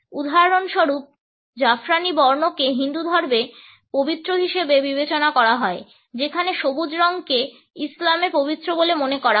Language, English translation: Bengali, For example, Saffron is considered sacred in Hinduism whereas, green is considered to be sacred in Islam